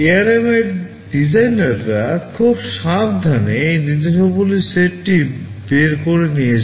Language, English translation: Bengali, The designers for ARM have very carefully thought out these set of instructions